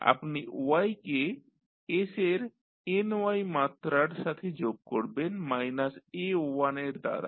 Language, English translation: Bengali, You will connect the y with s to the power ny with minus a1